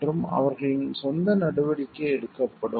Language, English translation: Tamil, And will be taking their own course of action